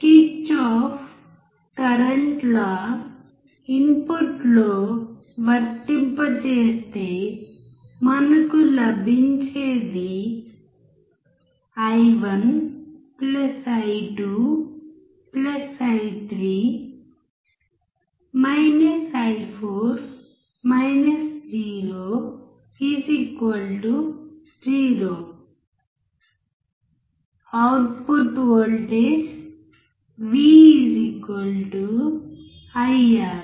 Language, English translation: Telugu, Applying Kirchoff’s Current Law at input, we get Output Voltage V=IR